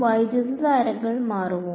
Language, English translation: Malayalam, Will the currents change